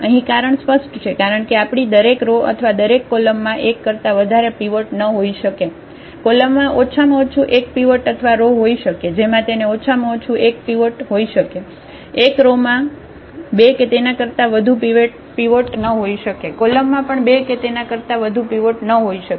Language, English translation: Gujarati, The reason is clear because our each row or each column cannot have more than one pivot, the column can have at most one pivot or the row also it can have at most one pivot, one row cannot have a two pivots or more, column cannot have a two pivots or more